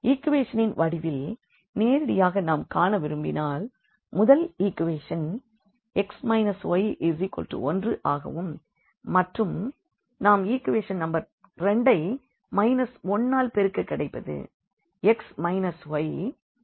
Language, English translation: Tamil, In terms of the equations if we want to see directly because, the first equation is x minus y is equal to 1 and if I multiply here the equation number 2 by minus 1 we will get x minus y is equal to minus 2